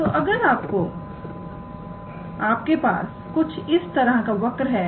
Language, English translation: Hindi, So, if you have a curve like this